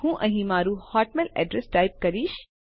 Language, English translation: Gujarati, I will type my hotmail address here